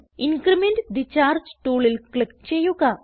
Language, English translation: Malayalam, Click on Increment the charge tool